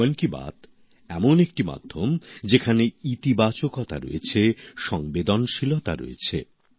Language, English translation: Bengali, Mann Ki Baat is a medium which has positivity, sensitivity